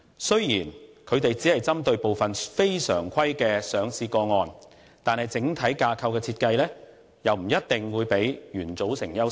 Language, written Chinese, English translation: Cantonese, 雖然他們只是針對部分非常規的上市個案，但整體架構的設計不一定會較原組成優勝。, While they will only target at certain listing cases with abnormalities the design of this overall structure will not necessarily be better than the design of the original framework